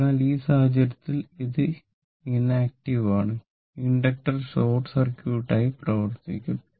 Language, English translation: Malayalam, So, inductor will act as a short circuit